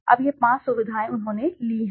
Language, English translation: Hindi, Now this 5 features he has taken right